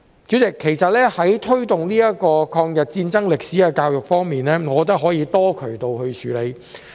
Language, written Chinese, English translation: Cantonese, 主席，在推動抗日戰爭歷史的教育方面，我覺得可以多渠道處理。, President the promotion of education on the history of the War of Resistance in my opinion can be done through multiple channels